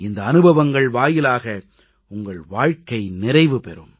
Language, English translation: Tamil, These experiences will enrich your lives